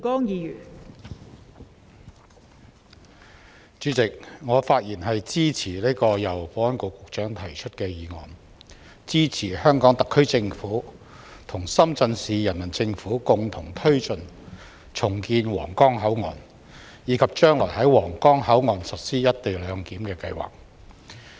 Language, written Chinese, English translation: Cantonese, 代理主席，我發言支持由保安局局長動議的議案，支持香港特區政府與深圳市人民政府共同推進重建皇崗口岸，以及將來在皇崗口岸實施"一地兩檢"的計劃。, Deputy President I speak in favour of the motion moved by the Secretary for Security to support the Hong Kong Special Administrative Region HKSAR Government in collaboration with the Shenzhen Municipal Government to jointly press ahead the redevelopment of the Huanggang Port and implement co - location arrangement at the redeveloped Huanggang Port